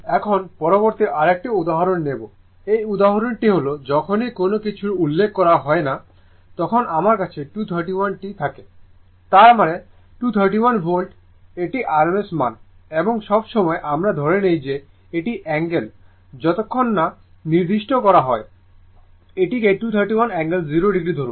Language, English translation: Bengali, Now, next another example, this example is that you have a that you have a 231 whenever nothing is mentioned; that means, 231 Volt means it is RMS value and all the time we assume it is angle say unless and until it is specified say 231 angle, 0 degree right and another thing is the load is given 0